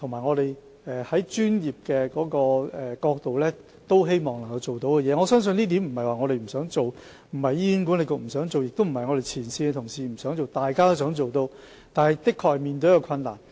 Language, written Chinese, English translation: Cantonese, 我相信問題並不是我們不想做，不是醫管局不想做，亦不是前線同事不想做，這是大家都希望做到的，但我們的確面對困難。, I think at issue is not that we are unwilling to do so nor that HA or frontline colleagues are unwilling to do so . We all want to achieve this standard but we really have difficulty in doing so